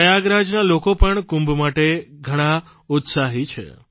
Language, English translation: Gujarati, People of Prayagraj are also very enthusiastic about the Kumbh